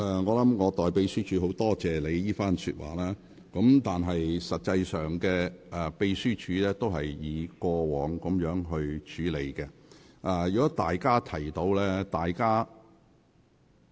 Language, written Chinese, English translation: Cantonese, 我代秘書處感謝你為他們說話，秘書處是一如以往盡責處理有關事務。, On behalf of the staff of the Secretariat I thank you for speaking up for them . The Secretariat has handled the relevant matters as dutifully as ever